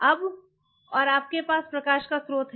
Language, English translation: Hindi, Now, and you have a source of light